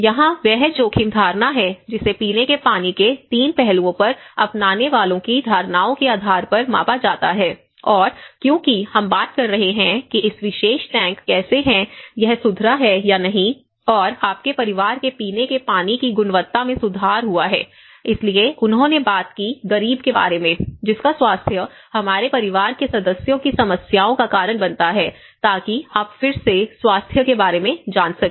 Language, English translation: Hindi, And here this is where the risk perception you know that is measured based on adopters perceptions on 3 aspects of drinking water and because we are talking about how this particular tank having this tank how it has improved or not and the drinking water quality of your family, so they talked about from good to poor, causing health issues problems of our family members, so that is again you know regarding the health